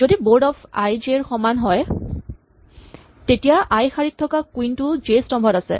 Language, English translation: Assamese, So, if board of i is equal to j it means that in row i the queen is at column j